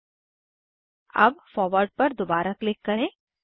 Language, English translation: Hindi, Now, click on Forward again